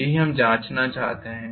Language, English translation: Hindi, That is what we want to check, right